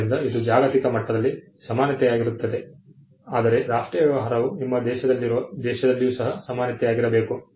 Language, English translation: Kannada, So, this is equality at the global level, whereas national treatment is equality within your country